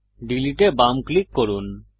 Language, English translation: Bengali, Left click Delete